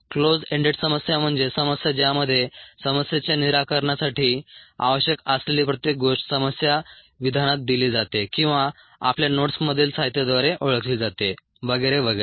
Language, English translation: Marathi, closed ended problems are problems in which everything that is needed for the solution of the problem is either given in the problem statement or is known through material in your notes and so on, so forth